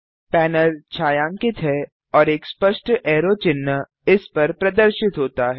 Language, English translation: Hindi, The panel is shaded and a clear arrow sign appears over it